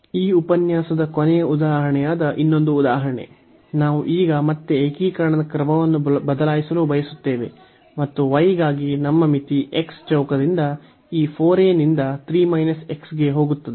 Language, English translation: Kannada, So, one more example that is the last example for this lecture; so, we have now again we want to change the order of integration and our limit for the y goes from x square by this 4 a to 3 a minus x